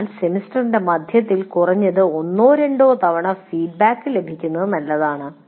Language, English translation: Malayalam, So it is a good idea to have at least once or twice feedback in the middle of the semester